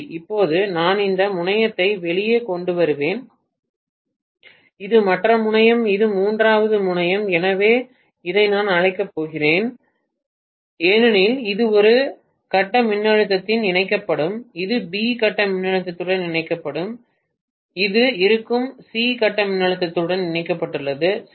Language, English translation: Tamil, Now, I will just bring out this terminal, this is the other terminal, this is the third terminal so I am going to call this as this will be connected to A phase voltage, this will be connected to B phase voltage, this will be connected to C phase voltage, right